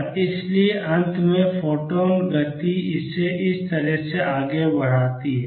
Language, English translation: Hindi, And therefore, finally, the photon momentum makes it go this way